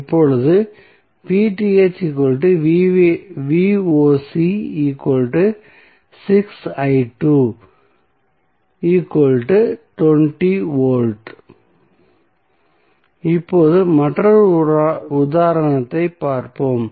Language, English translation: Tamil, So now, let us see another example